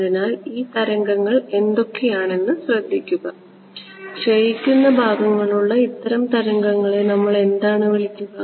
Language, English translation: Malayalam, So, notice what are these waves what kind of waves we call these with a decaying part